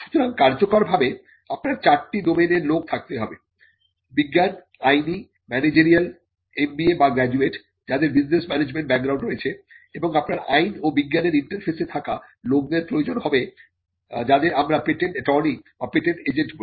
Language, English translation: Bengali, So, in effect you need to have people from four domains – the scientific domain, the legal domain, the managerial domain; MBA or graduates who have a background in business management, and you need to have the people who are at the interface of law and science what whom we call the patent attorneys or the patent agents